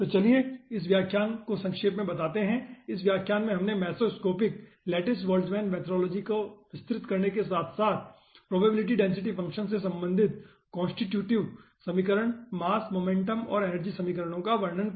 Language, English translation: Hindi, in this lecture we have elaborated mesoscopic lattice boltzmann methodology, along with constitutive equationsmass, momentum and energy equation related to probability, density functions we have described